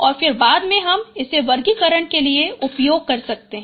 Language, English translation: Hindi, And then subsequently can use it for classification